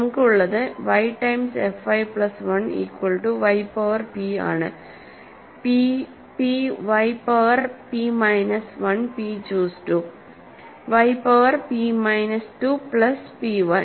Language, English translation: Malayalam, So, what we have is y times f y plus 1 is equal to y power p, p p y power p minus 1 p choose 2, y power p minus 2 plus p y